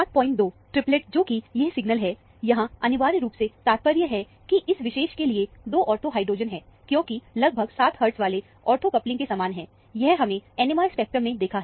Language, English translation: Hindi, 2 triplet, which is this signal, here, essentially implies, there are 2 ortho hydrogens to this particular, because, this is corresponding to an ortho coupling of about 7 hertz or so; that is what we have seen from the NMR spectrum of this